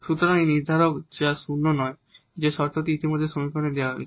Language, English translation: Bengali, So, this is the determinant which is non zero that condition is given already in the equation